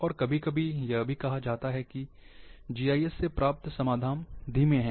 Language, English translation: Hindi, And sometimes, it is also said, that GIS solutions are slow